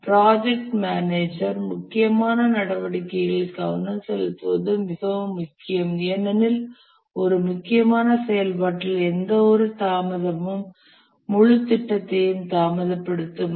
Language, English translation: Tamil, It's very important for the project manager to pay careful attention to the critical activities because any delay on a critical activity will delay the whole project